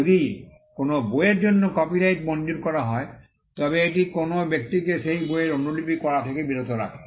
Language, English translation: Bengali, If a copyright is granted for a book, it stops a person from making copies of that book